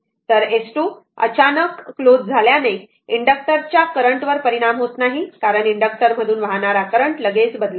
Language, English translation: Marathi, So, sudden closing of S 2 does not affect the inductor current, because the current cannot change abruptly through the inductor